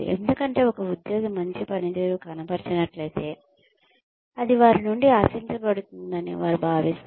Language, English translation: Telugu, Because, they feel that, if an employee has performed well, that is what is expected of them